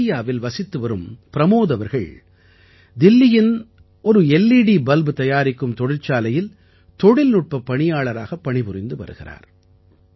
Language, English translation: Tamil, A resident of Bettiah, Pramod ji worked as a technician in an LED bulb manufacturing factory in Delhi